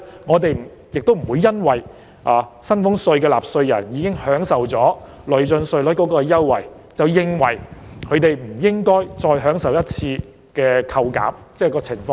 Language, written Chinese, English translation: Cantonese, 我們不會因為薪俸稅的納稅人已享有累進稅率的優惠，便認為他們不應該受惠於一次性扣減的寬免措施。, We will not consider that people paying salaries tax who are already enjoying the concessionary tax treatment under the progressive tax regime should not benefit from such one - off tax reductions